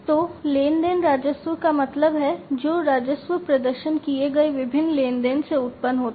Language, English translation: Hindi, So, transaction revenues means, the revenues that are generated from the different transactions that are performed